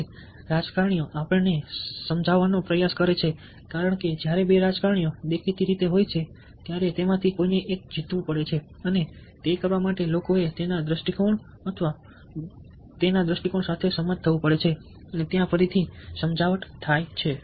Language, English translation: Gujarati, so the classic case of persuasion: politicians today try to persuade us because when there are two politicians, obviously somebody has to win, and in order to do that, the people have to agree with his point of view or her point of view, and there again, persuasion takes place